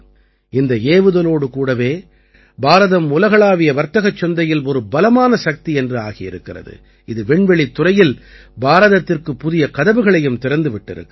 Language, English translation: Tamil, With this launching, India has emerged as a strong player in the global commercial market…with this, new doors of oppurtunities have also opened up for India